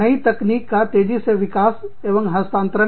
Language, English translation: Hindi, Rapid development, and transfer of new technology